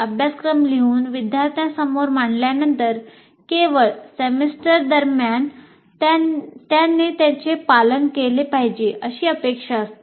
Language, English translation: Marathi, Only thing after writing the syllabus and presenting to the students during the semester, he is expected to follow that